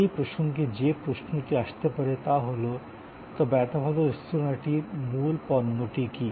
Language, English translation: Bengali, The question that can come up in that context is, but what exactly is the core product of such a good restaurant